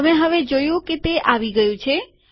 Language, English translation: Gujarati, Now you see it has come